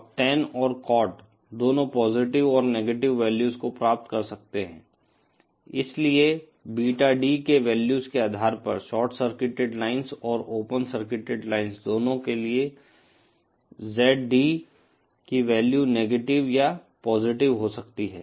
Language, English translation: Hindi, Now tan and cot, both can acquire positive and negative values, therefore the values of ZD for both the short circuited lines and open circuited lines can be negative or positive depending upon the values of Beta D